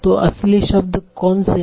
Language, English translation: Hindi, So words are very common